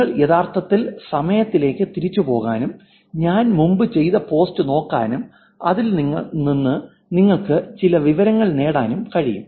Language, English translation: Malayalam, You can actually go back in time and look at the post that I have done and you can derive some information even from that